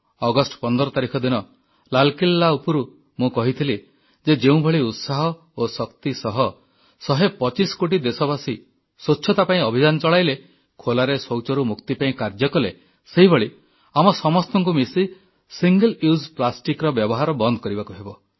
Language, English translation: Odia, On 15th August, I had urged you from the Red Fort…the way one hundred & twenty five crore countrymen ran a campaign for cleanliness with utmost enthusiasm and energy, and toiled tirelessly towards freedom from open defecation; in a similar manner, we have to join hands in curbing 'single use plastic'